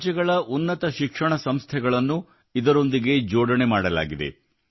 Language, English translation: Kannada, Higher educational institutions of various states have been linked to it